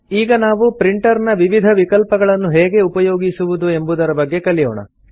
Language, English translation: Kannada, We will now see how to access the various options of Print